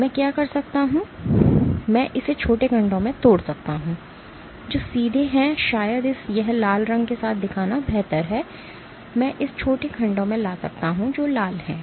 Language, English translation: Hindi, What I can do is I can break it into short segments, which are straight maybe it is better to show it with red I can bring it into short segments which are red